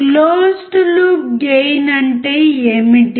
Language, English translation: Telugu, What is closed loop gain